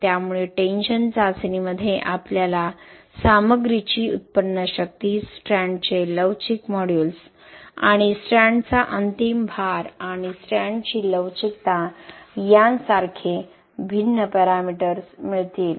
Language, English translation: Marathi, So in tension test we will be getting the different parameters like yield strength of the materials, elastic modulus of the strand and ultimate load of strand and ductility of the strand